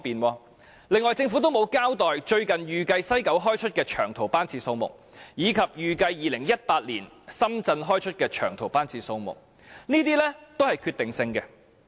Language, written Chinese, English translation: Cantonese, 此外，政府亦沒有交代最新預計由西九開出的長途班次數目，以及預計2018年由深圳開出的長途班次數目，這些都是具決定性的。, Besides the Government did not provide its latest forecast of the respective numbers of long - haul trips departing from West Kowloon and Shenzhen in 2018